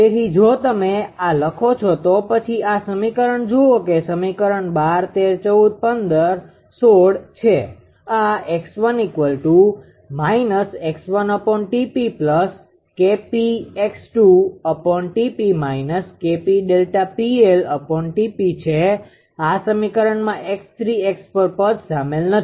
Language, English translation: Gujarati, So, this one if you write then if you look at this those equations that equation 12 13, 14 and 16 this x 1 dot is equal to actually minus 1 upon T p x 1